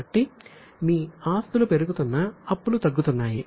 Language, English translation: Telugu, So, your liabilities are falling, assets are rising